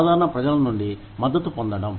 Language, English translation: Telugu, Getting support from the general public